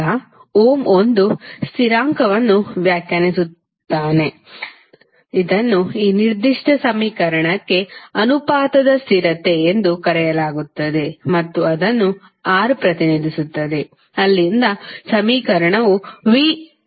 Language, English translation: Kannada, Now, Ohm define one constant, which is called proportionality constant for this particular equation and that was represented by R and from there the equation came like V is equal to R into I